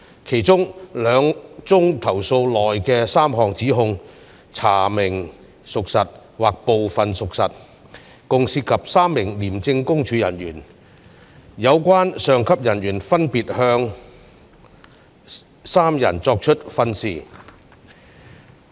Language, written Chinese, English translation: Cantonese, 其中兩宗投訴內的3項指控查明屬實或部分屬實，共涉及3名廉政公署人員，有關上級人員分別向3人作出訓示。, Of the 13 complaints covering 68 allegations 3 allegations in 2 complaints were found to be substantiated or partially substantiated . The allegations concerned a total of 3 ICAC officers who were as a result given advice respectively by their senior officers